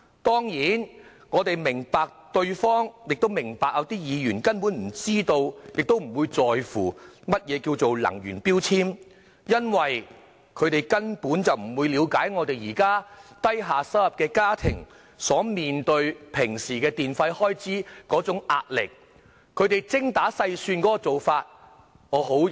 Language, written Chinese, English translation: Cantonese, 當然，我們明白有些議員根本不知道亦不在乎何謂能源標籤，因為他們不了解低收入家庭面對電費開支的壓力，必須精打細算。, Of course I understand that some Members do not know or do not care what are energy labels because they are not aware that low - income households must calculate every cent carefully under the pressure of electricity bills